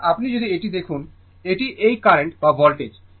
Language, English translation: Bengali, So, if you look into that, that that this current or voltage